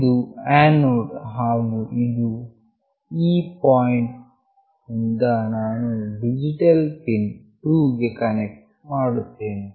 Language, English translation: Kannada, This is the anode and from this point I will connect to digital pin 2